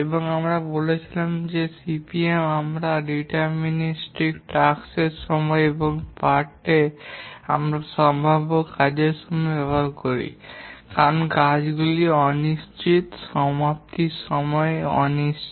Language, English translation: Bengali, And we said that CPM, we use deterministic task times, whereas in part we use probabilistic task times because tasks are uncertain, that completion times are uncertain